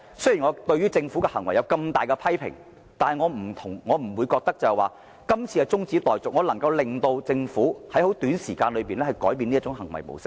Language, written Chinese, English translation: Cantonese, 雖然我對政府的行為極力批評，但我不認為中止待續議案能促使政府短期內改變行為模式。, This attitude is absolutely unacceptable . Despite my strong criticism of the behaviour of the Government I do not think that adjourning this debate can change the behavioural pattern of the Government in the short term